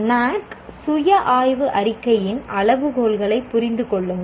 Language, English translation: Tamil, Understand the criteria of NAAC self study report